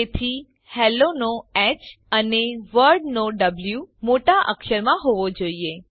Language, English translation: Gujarati, So, H of Hello and W of World are in uppercase